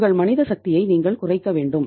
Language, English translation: Tamil, You have to reduce your manpower